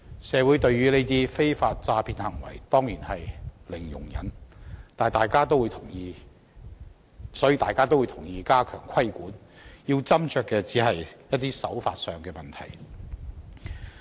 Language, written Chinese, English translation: Cantonese, 社會對於這種非法詐騙行為當然零容忍，所以大家也同意需要加強規管，要斟酌的只是手法問題。, Certainly there is zero tolerance for such unlawful fraudulent acts in society . On this point everyone agrees that regulation has to be stepped up and the only issue needs to be considered further is the approach to be taken